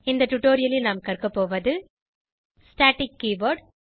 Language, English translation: Tamil, In this tutorial we will learn, Static keyoword